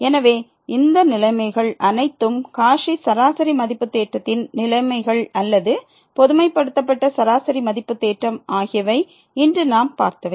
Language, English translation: Tamil, So, all these conditions are the conditions of the Cauchy mean value theorem or the generalized mean value theorem we have just seen today